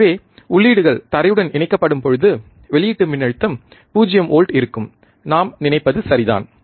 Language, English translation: Tamil, We have grounded, input we have grounded, means output voltage should be 0 volt, right